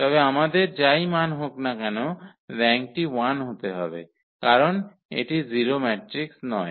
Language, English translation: Bengali, So, whatever value we have, so the rank has to be 1 in the that case because it is not the 0 matrix